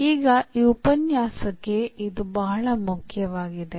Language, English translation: Kannada, So, this is very important for this lecture now